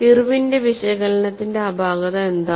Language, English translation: Malayalam, And what was the defect of Irwin's analysis